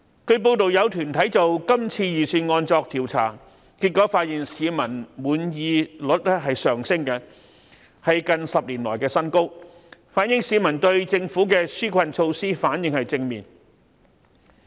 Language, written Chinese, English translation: Cantonese, 據報有團體就今次預算案作調查，結果發現市民的滿意率上升，是近10年來的新高，反映市民對政府的紓困措施反應正面。, According to the findings of a survey conducted by an organization on the Budget this year the rate of peoples satisfaction has reached a record high in a decade indicating that the community has responded positively to the relief measures